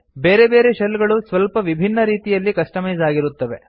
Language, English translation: Kannada, Different shells are customized in slightly different ways